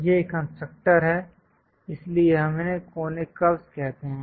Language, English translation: Hindi, These are constructors, so we call them as conic curves